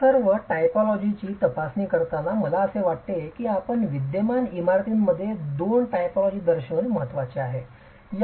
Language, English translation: Marathi, While examining all these typologies, I think it is important to point out two typologies that you will come across in existing buildings